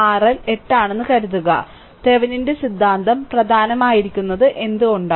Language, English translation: Malayalam, Suppose, R L is 8; suppose, why Thevenin’s theorem is important